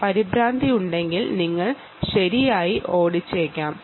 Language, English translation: Malayalam, then, if there is panic, you could be running right